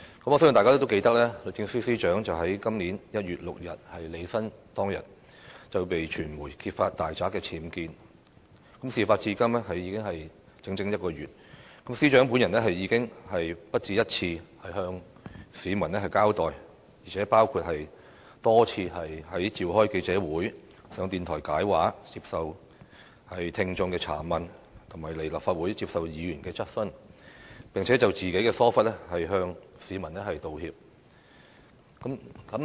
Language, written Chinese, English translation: Cantonese, 我相信大家都記得，律政司司長於今年1月6日履新當天，被傳媒揭發大宅僭建，事發至今已整整一個月，司長本人已不下一次向市民交代，包括多次召開記者會、上電台"解畫"、接受聽眾查問及來立法會接受議員質詢，並且就自己的疏忽，向市民道歉。, I believe Members all recollect that when the Secretary for Justice assumed office on 6 January this year the media uncovered unauthorized building works UBWs in her house . Over the past month since the occurrence of the incident the Secretary for Justice has given an account to the public on various occasions including holding press conferences offering an explanation on radio shows taking questions from the audience and taking Members questions at the Legislative Council; and she has apologized to the public for her negligence